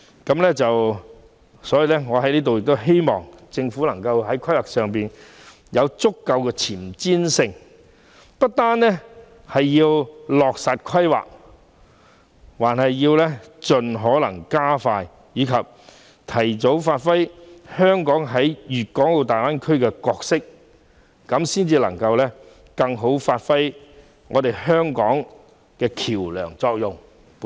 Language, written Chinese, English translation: Cantonese, 因此，我希望政府在規劃上能更具前瞻性，不單要落實規劃，更要加快步伐，讓香港早日履行其在大灣區的角色，以更有效地發揮香港作為橋樑的功能。, Therefore I hope that the Government can be more forward - looking in its planning . It should not only implement the planning initiatives but also quicken its pace as well so that Hong Kong can fulfil its role in the Greater Bay Area as soon as possible and function more effectively as a bridge